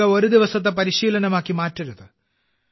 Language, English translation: Malayalam, We do not have to make Yoga just a one day practice